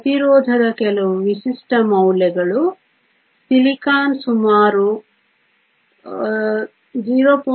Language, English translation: Kannada, Some of the typical values of resistivity; Silicon is around 0